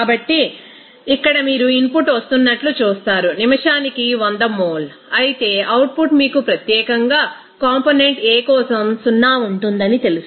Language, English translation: Telugu, So, here you will see that input is coming as 100 mole per minute, whereas output is you know that there will be 0 for specifically for component A